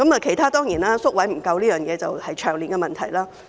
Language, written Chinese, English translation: Cantonese, 其他方面，當然還有宿位不足，這是長年的問題。, As for other aspects there is also a shortage of residential care places which is a long - standing problem